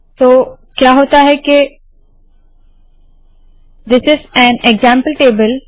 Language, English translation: Hindi, So what happens is now this is an example table